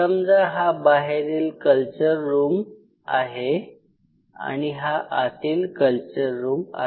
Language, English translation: Marathi, Say for example, this is the outer culture room and say in our culture room